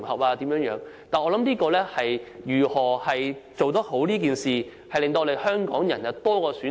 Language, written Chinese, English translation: Cantonese, 不過，我所想的是如何做好此事，讓香港人有更多選擇。, But what I have in mind is how to proceed with this task properly and give more choices to Hong Kong people